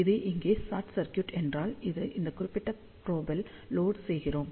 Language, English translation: Tamil, So, if this is short circuit over here, this will do the loading on this particular probe